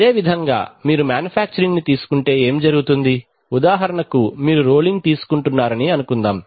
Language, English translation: Telugu, Similarly if you take manufacturing then what happens is that, for example, suppose you are taking rolling